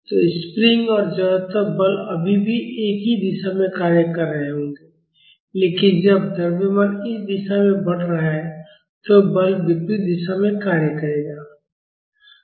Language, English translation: Hindi, So, the spring and inertia force will still be acting in the same direction but when the mass is moving in this direction, the force will be acting in the opposite direction